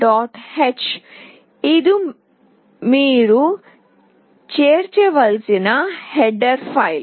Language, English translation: Telugu, h this is the header file that you need to include